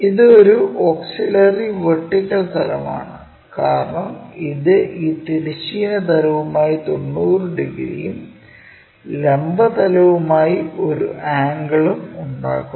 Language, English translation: Malayalam, This is a auxiliary vertical plane because it is making 90 degrees angle with respect to this horizontal plane, but making an inclination angle with the vertical plane